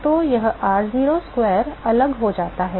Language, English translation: Hindi, So, r0 square goes off ok